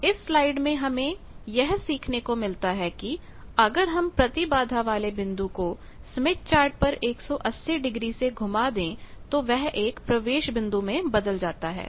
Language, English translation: Hindi, So, the take away from this slide is if you rotate the impedance point on the smith chart by 180 degree impedance point get transferred to an admittance point